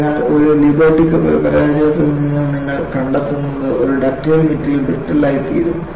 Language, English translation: Malayalam, So, what you find from a Liberty ship failure is, a ductile material can become brittle